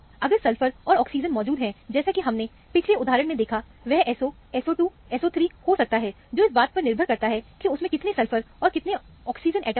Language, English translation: Hindi, If sulphur and oxygen are present, like we saw in the earlier example, it could be SO, SO 2, or SO 3, depending upon how many sulphurs, and how many oxygen atoms are present in the system